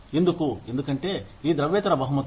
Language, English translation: Telugu, Why because, of these non monetary rewards